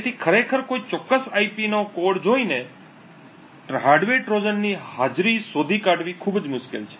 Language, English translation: Gujarati, So, therefore just by actually looking at the code of a particular IP, it is very difficult to actually detect the presence of a hardware Trojan